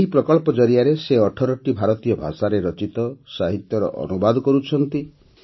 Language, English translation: Odia, Through this project she has translated literature written in 18 Indian languages